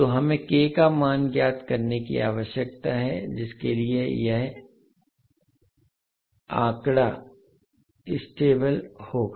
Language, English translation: Hindi, So we need to find out the value of K for which this particular figure will be stable